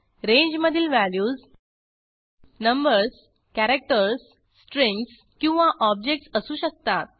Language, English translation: Marathi, The values in a range can be numbers, characters, strings or objects